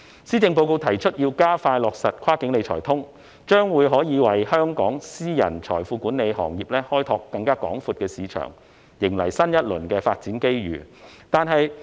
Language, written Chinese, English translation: Cantonese, 施政報告提出要加快落實"跨境理財通"，這將可以為香港私人財富管理行業開拓更廣闊的市場，迎來新一輪發展機遇。, The Policy Address has proposed expediting the implementation of Wealth Management Connect . This will open up a wider market for the private wealth management industry of Hong Kong and bring to it a new round of development opportunities